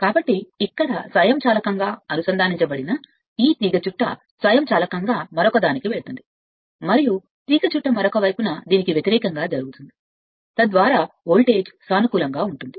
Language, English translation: Telugu, So, this coil automatically connected to the here automatically move to the other one and reverse will happen for the other coil side, so such that voltage will remain positive